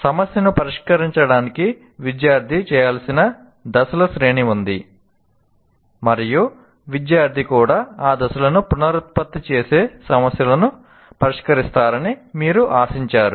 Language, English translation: Telugu, That is also, you have a series of steps that student is required to perform to solve a problem and you expect the student also to reproduce those steps and solve the problem